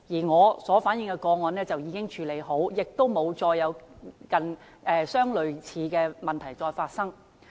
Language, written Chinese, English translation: Cantonese, 我所反映的個案已經獲得處理，亦沒有類似的問題再發生。, The cases I reflected have been dealt with and similar problems have not recurred